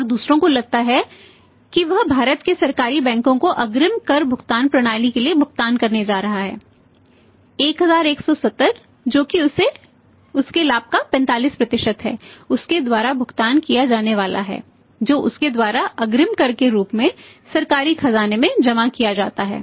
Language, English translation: Hindi, And other think he is going to pay to the government bank in India the advance tax payment system that is 1170 that is 45% of his profit is going to be paid by him deposited by him in the Government treasury as the advance tax